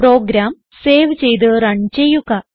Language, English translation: Malayalam, Save and Run the program